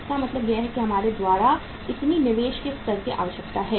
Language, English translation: Hindi, It means this much of the level of the investment we require